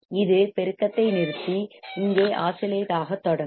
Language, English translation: Tamil, It will stop amplifying and start oscillating here